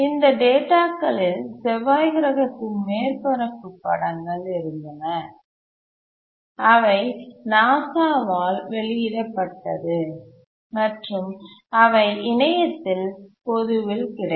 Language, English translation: Tamil, And these data included pictures of the Mars surface and which were released by NASA and were publicly available on the web